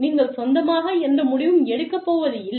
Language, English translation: Tamil, You do not take, any decision, on your own